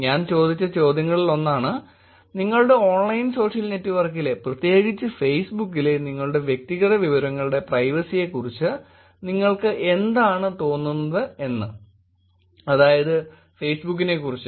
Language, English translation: Malayalam, So this is one of the questions that I asked which is what you feel about privacy of your personal information on your online social network, which is about Facebook